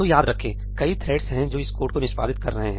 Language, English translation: Hindi, So, remember, there are multiple threads which are executing this code